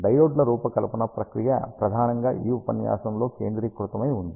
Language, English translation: Telugu, The design process for diodes is mainly focused in this lecture